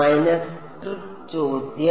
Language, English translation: Malayalam, Minus trick question